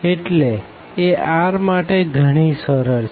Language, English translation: Gujarati, So, here r is equal to 2